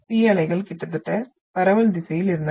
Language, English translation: Tamil, And the P waves were having almost in the direction of propagation